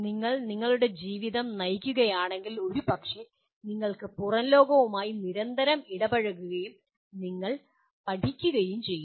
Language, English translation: Malayalam, Just if you live your life possibly you are constantly interacting with the outside world and you are leaning